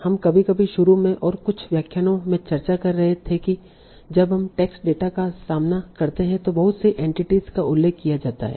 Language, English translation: Hindi, So we were discussing some times even in the starting and in some lectures that when we encounter text data, lot of entities are mentioned there